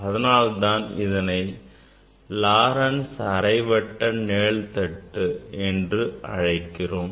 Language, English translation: Tamil, why we need this Laurent s half shade